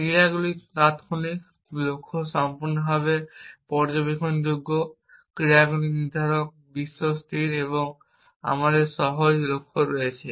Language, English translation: Bengali, Actions are instantaneous, the goal is fully observable actions are deterministic, the world is static and we have simple goals